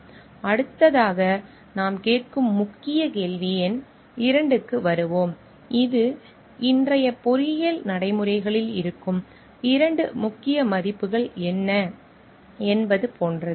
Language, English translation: Tamil, We will next come to the key question number 2 which are like what are the two key values that lie engineering practices today